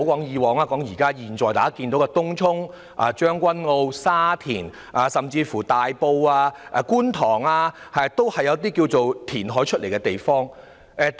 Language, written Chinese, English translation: Cantonese, 現時的東涌、將軍澳、沙田甚至是大埔和觀塘，都是填海而來的。, Tung Chung Tseung Kwan O Sha Tin and even Tai Po and Kwun Tong are all developed from reclaimed land